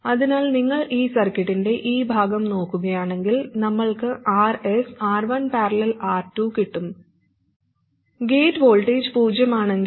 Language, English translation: Malayalam, So if you look at this part of the circuit, we have RS and R1 parallel R2 and the gate voltage is 0